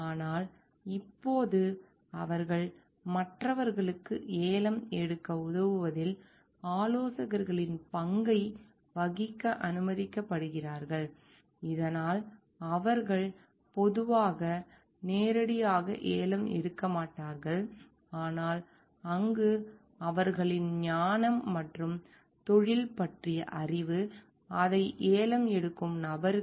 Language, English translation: Tamil, But now they are allowed to play the role of consultants in helping others to make the bids so that they are not generally directly bidding for it, but there we using their wisdom and knowledge of the industry, knowledge of the products to like act as consultants for the person who are bidding for it